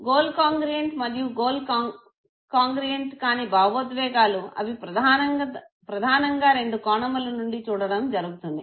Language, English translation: Telugu, The goal congruent and the goal incongruent emotion they are primarily know looked upon from two points of view